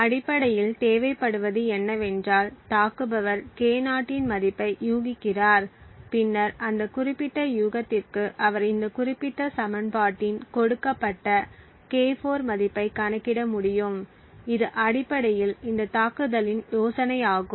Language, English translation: Tamil, Essentially what would be required is that the attacker guesses a value of K0 and then for that particular guess he can then compute the value K4 given this particular equation, so this is essentially the idea of this attack